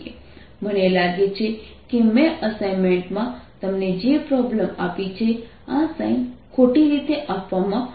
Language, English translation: Gujarati, i think in the problem that i gave you i had in the assignment this sign is given incorrectly, so correct that now